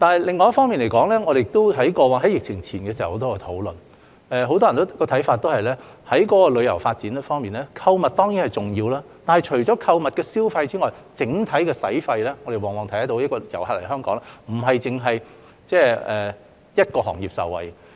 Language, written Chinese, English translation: Cantonese, 另一方面，我們在疫情前已有許多討論，當時很多人認為，在旅遊發展方面，促進購物消費固然重要，但除此之外，我們看到旅客來港的整體消費往往並非只會令一個行業受惠。, On the other hand there were a lot of discussions on tourism development before the epidemic saying that while it is important to boost shopping the overall travel spending of tourists in Hong Kong can often benefit more than one single industry